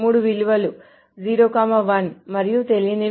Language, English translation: Telugu, The 3 values are 0, 1 and unknown